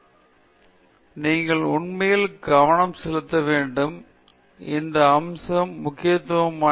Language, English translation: Tamil, So, you have to really pay attention to it, give importance to this aspect